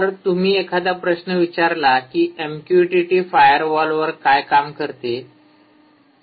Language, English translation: Marathi, so if you ask a question, does m q t t work over firewalls